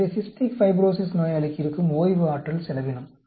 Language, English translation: Tamil, So, the comparison is Cystic Fibrosis expends more energy